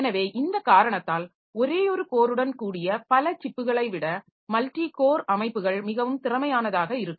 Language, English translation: Tamil, So, multi core systems can be more efficient than multiple chips with single cores because of this reason